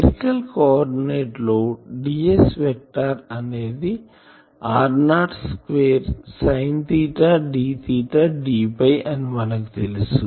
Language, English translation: Telugu, In spherical coordinate we know the ds vector is ar r not square sin theta d theta d phi